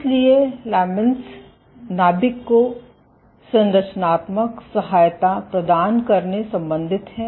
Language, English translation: Hindi, So, laments are associated with providing structural support to the nucleus